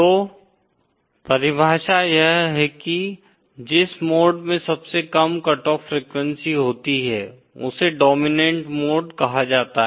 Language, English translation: Hindi, The mode that has the lowest cut off frequency is called the dominant mode